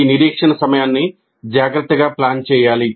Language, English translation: Telugu, So these wait times must be planned carefully